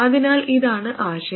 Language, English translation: Malayalam, So that is the idea